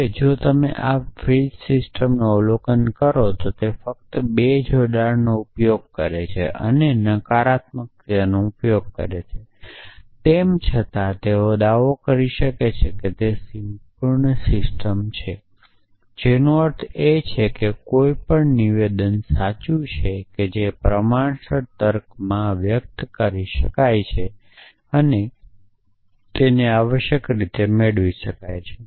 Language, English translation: Gujarati, Now, if you observe this Frege system, it uses only two connectives the implication and the negation essentially and yet they can made a claim that system is complete which means any true statement that can express in proportional logic can be derive essentially